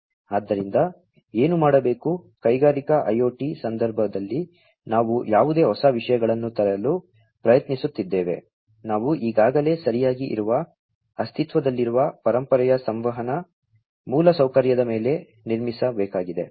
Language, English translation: Kannada, So, what has to be done, is whatever newer things we are trying to bring in the context of Industrial IoT, we will have to be built on top of the existing, legacy communication infrastructure that is already in place right